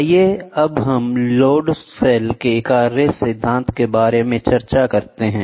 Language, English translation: Hindi, Let us now discuss about working principles of load cell